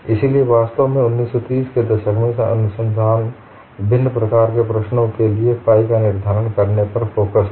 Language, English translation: Hindi, So, in fact in 1930's, the research was focused on determining phi for various types of problems